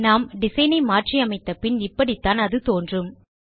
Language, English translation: Tamil, And once we are done with our design, this is how our form will look like